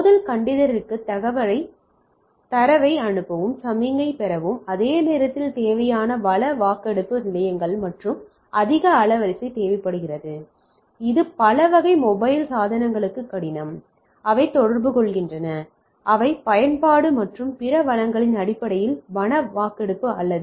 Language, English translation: Tamil, Collision detection requires send data and receive signal and the same time, required resource poll stations and higher bandwidth which is a difficult for several this type of mobile devices; which are communicating, which are not that resource poll both the in terms of application and other resources